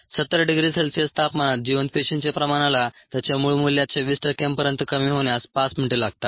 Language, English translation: Marathi, at seventy degree c it takes five minutes for the viable cell concentration to reduce to twenty percent of its original value